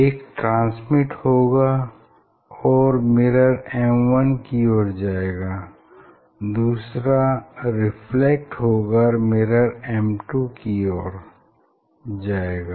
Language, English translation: Hindi, One will just transmit and go towards the mirror M1 and another will reflect and go towards the mirror 2